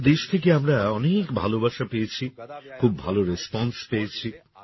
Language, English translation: Bengali, We have received a lot of affection from the entire country and a very good response